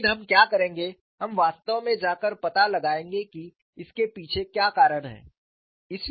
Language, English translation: Hindi, But what we will do is, we would really go and find out what is the reason behind it